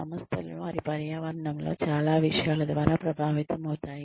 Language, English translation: Telugu, The organizations are influenced, by a lot of things, in their environments